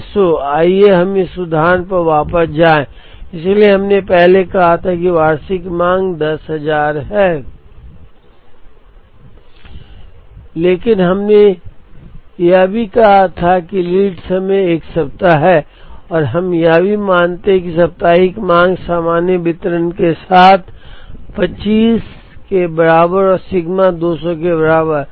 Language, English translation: Hindi, So, let us go back to that example, so we first said that, the annual demand is 10,000 but, we also said that, the lead time is 1 week and we also assume that weekly demand follows a normal distribution with mean equal to 200 and sigma equal to 25